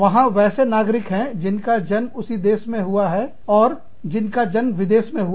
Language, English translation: Hindi, From here, there are citizens, that are native born, and foreign born